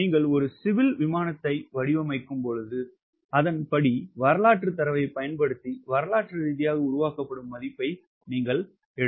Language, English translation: Tamil, if you are designing a civil aircraft, then accordingly you have to see the value which is historically ah generated, ah generating using historic data